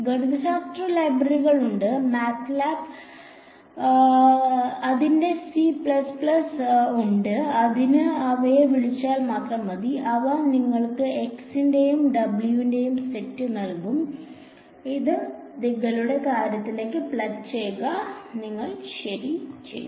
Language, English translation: Malayalam, There are there are mathematical libraries, MATLAB has its C++ has it just invoke them they will give you the set of x’s and w’s; plug it into your thing and you have done ok